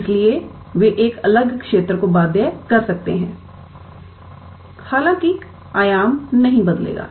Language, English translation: Hindi, So, they might bound a different region; however, the dimension will not change